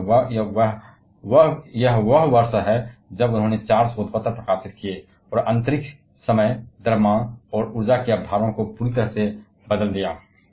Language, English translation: Hindi, Because this is the year when he published 4 research papers, and totally changed the concepts of space, time, mass and energy